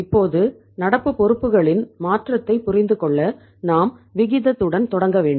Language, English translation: Tamil, Now to understand the change in the current liabilities we will have to start with the ratio